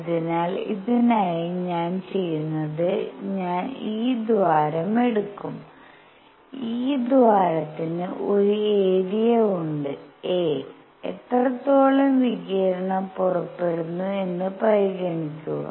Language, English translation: Malayalam, So, for this what I will do is I will take this cavity and this hole has an area a, and consider how much radiation comes out